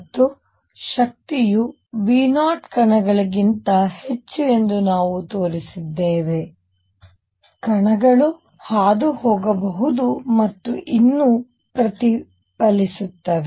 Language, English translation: Kannada, And we also showed that for energy is greater than V 0 energy is greater than V 0 particles can go through and also still reflect